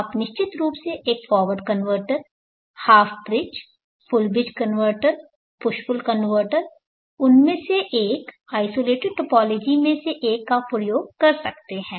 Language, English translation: Hindi, But there is no hard and fast rule which converter you will have to use here you could definitely use a forward converter half bridge, full bridge converter push pull converter one of them one of the isolated topologies